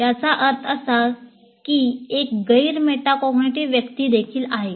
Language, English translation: Marathi, So who is a metacognitive person